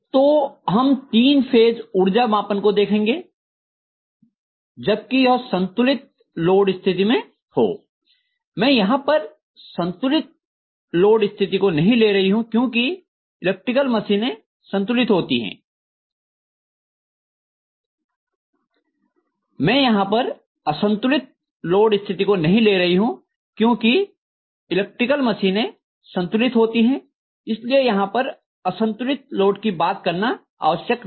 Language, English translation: Hindi, So we are going to look at three phase power measurement if it is balanced load, I am not going to take the case of unbalanced load condition because most of the electrical machines normally are balanced so there is no need to really talk about t unbalanced